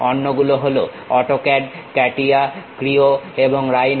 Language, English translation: Bengali, The others are AutoCAD, CATIA, Creo and Rhino